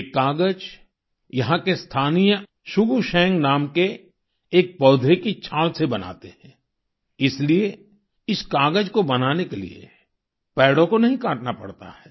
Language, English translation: Hindi, The locals here make this paper from the bark of a plant named Shugu Sheng, hence trees do not have to be cut to make this paper